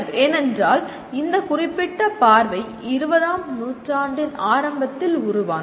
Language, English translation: Tamil, That is because this particular viewpoint came into being during early part of the 20th century